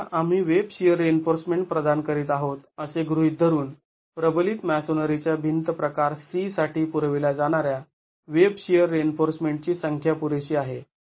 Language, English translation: Marathi, Now assuming that we are providing WebShare reinforcement is the amount of WebShare reinforcement provided adequate for reinforced masonry wall type C